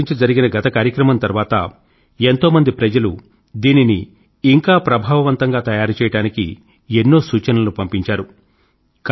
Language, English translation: Telugu, After the last exam interaction, many people have written in with suggestions to make it more effective